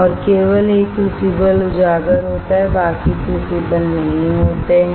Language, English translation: Hindi, And only one crucible is exposed rest of the crucibles are not